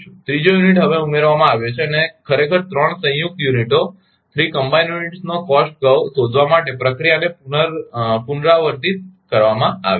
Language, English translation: Gujarati, The third unit is now added and the procedure is repeated to find the cost curve of the 3 combined units actually